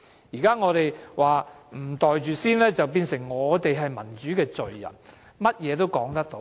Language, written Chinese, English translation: Cantonese, 現在我們不"袋住先"，變成我們是民主罪人，甚麼也說得出。, Since we did not pocket it first we are now called the sinner of democracy . They can say whatever they want